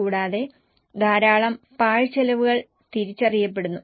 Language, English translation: Malayalam, And lot of wasteful expenditure gets identified